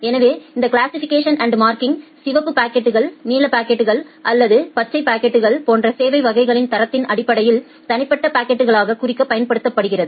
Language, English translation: Tamil, So, this classification and marking it is used to mark individual packets, based on their quality of service classes like the red packets, blue packets or green packets